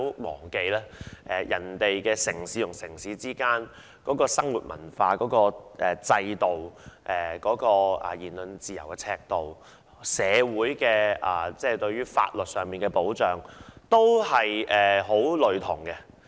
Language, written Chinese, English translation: Cantonese, 大家不要忘記，上述國家的城際生活、文化、制度、言論自由的尺度，以及社會上的法律保障均十分類同。, Members should not forget that the above countries are very similar to one another in intercity lifestyle culture system the degree of speech freedom and also statutory protection for the community